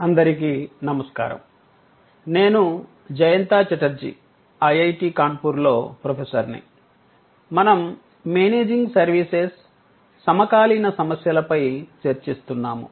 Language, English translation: Telugu, Hello, I am Jayanta Chatterjee from IIT, Kanpur and we are discussing Managing Services, contemporary issues